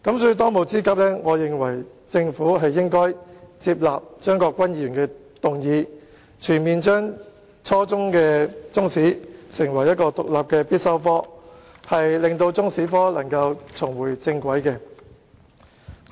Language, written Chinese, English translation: Cantonese, 所以，當務之急，政府應接納張國鈞議員的議案，全面將初中中史列為獨立的必修科，令中史科重回正軌。, So it is imperative that the Government should accept Mr CHEUNG Kwok - kwans motion and make Chinese History an independent and compulsory subject at junior secondary level across the board thereby putting the subject of Chinese History back on the right track